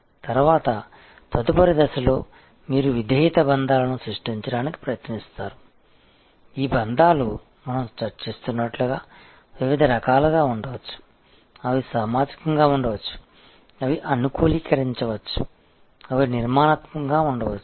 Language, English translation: Telugu, Then, in the next stage you try to create loyalty bonds, this bonds as we are discussing can be different types, it can be social, it can be customization, it can be structural and we will discuss it a little bit more later in this session